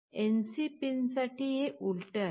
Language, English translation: Marathi, But for the NC pin it is just the reverse